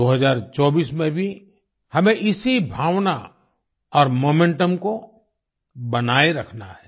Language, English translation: Hindi, We have to maintain the same spirit and momentum in 2024 as well